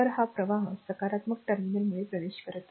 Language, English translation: Marathi, So, this is ah this current is entering because positive terminal